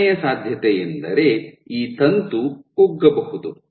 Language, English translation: Kannada, The second possibility, you can have this filament can shrink